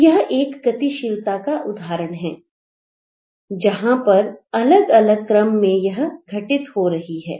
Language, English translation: Hindi, So, this is one example of a movement where it's happening in different sequences